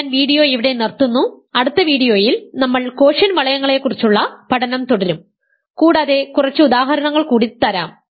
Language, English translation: Malayalam, So, I going a stop the video here, in the next video we will continue our study of quotient rings and I will give you a few more examples